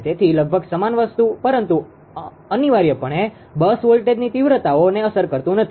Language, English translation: Gujarati, So, almost same thing; but leaves the bus voltage magnitudes essentially unaffected